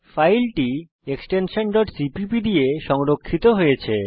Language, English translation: Bengali, The file is saved with an extension .cpp Lets compile the code